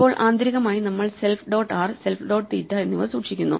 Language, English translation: Malayalam, Now internally we are now keeping self dot r and self dot theta